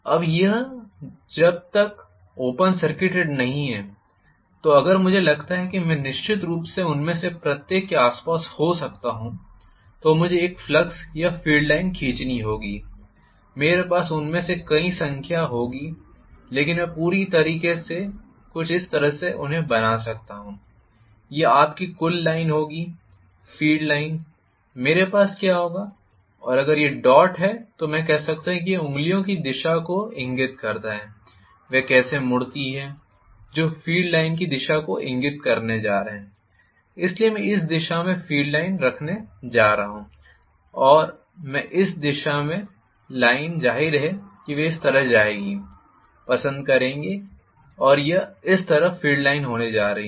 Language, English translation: Hindi, Now, when it is not open circuited anymore, so if I consider this I will definitely have may be around each of them I have to draw a flux or field line, I will have multiple number of them but on the whole maybe I can draw something like this, this will be the total line of you know field line, what I will have and if it is dot I can say that this indicate the direction of the fingers, how they curve that is going to indicate the direction of the field line, so I am going to have the field line in this direction, field line in this direction, of course, they will go like this, this is how the field lines are going to be